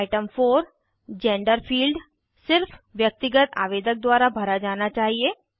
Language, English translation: Hindi, Item 4, the Gender field, should be filled only by Individual applicants